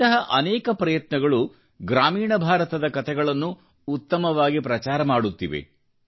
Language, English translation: Kannada, There are many endeavours that are popularising stories from rural India